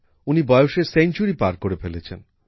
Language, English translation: Bengali, She has crossed a century